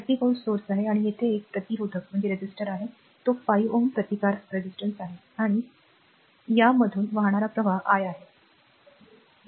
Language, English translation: Marathi, So, it is 30 volt source, and here one resistor is there and it is 5 ohm resistance and current flowing through this your is i, right